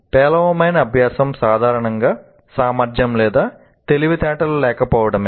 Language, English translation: Telugu, Poor learning is usually attributed to a lack of ability or intelligence